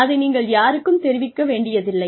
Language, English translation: Tamil, You do not have to declare it to anyone